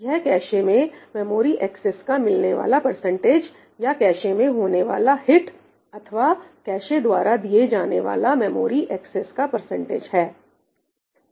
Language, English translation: Hindi, this is the percentage of memory accesses found in the cache, hit in the cache, or served by the cache